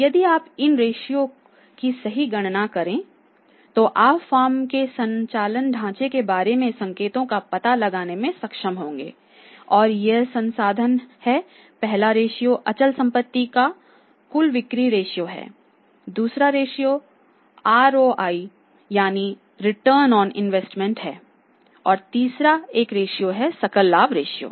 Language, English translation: Hindi, If you probably calculate the ratios you will be able to find out the signals about the operating structure of the firm and these resources are first ratio is fixed assets turnover ratio fixed assets turnover ratio, second ratios is ROI that is return on investment and third one is the gross profit ratio